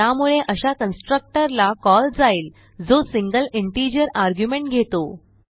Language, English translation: Marathi, Hence it calls the constructor that accepts single integer argument